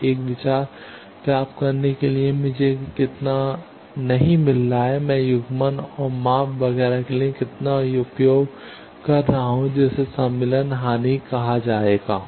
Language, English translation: Hindi, So, to get an idea that how much I am not getting, how much I am using for coupling and measurement etcetera that is called insertion loss